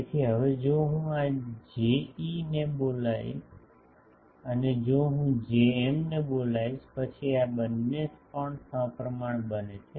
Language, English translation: Gujarati, So, here if we put a sorry, now if I call this J e and if I call this Jm then these 2 also becomes symmetrical